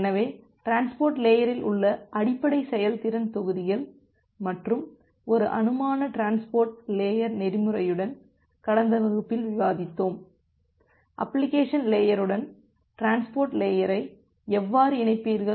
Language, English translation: Tamil, So, in the last class we have discussed about the basic performance modules in the transport layer along with a hypothetical transport layer protocol that how will you interface the transport layer with the application layer